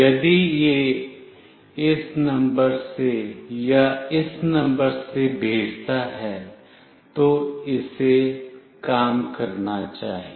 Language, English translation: Hindi, If it sends either from this number or from this number, then it should work